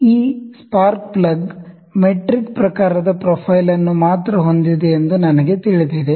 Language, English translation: Kannada, So, I know that this spark plug is having metric type of profile only